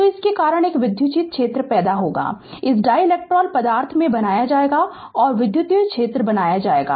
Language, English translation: Hindi, So, because of this there will be an electric field will be will be created in this dielectric material and electric field will be created